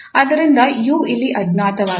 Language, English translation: Kannada, So u is the unknown here